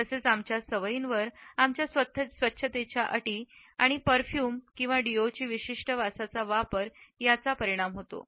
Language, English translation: Marathi, It is also influenced by our habits in terms of our hygiene and the use of a particular smell in the shape of a perfume or deo